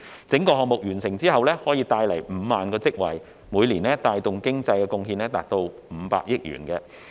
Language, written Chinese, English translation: Cantonese, 整個項目完成後可帶來5萬個職位，每年帶動的經濟貢獻達500億元。, Upon the completion of the whole project 50 000 jobs will be created and its economic contribution can reach 50 billion per annum